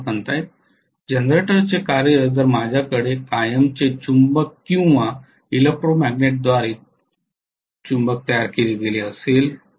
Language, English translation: Marathi, Okay, working of the generator, if I am having a magnet created either by a permanent magnet or electromagnet fine